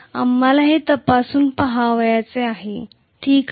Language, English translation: Marathi, That is what we want to check it out, okay